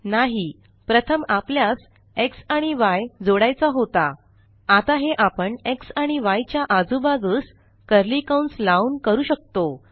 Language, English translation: Marathi, No, we want to add x and y first, and we can do this, by introducing curly brackets around x and y